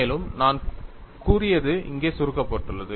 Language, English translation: Tamil, And whatever I have said is summarized here